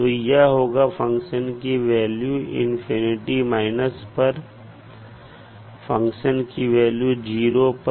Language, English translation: Hindi, Or you can write the value of function at infinity minus value of function at zero